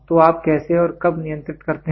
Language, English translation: Hindi, So, how when do you control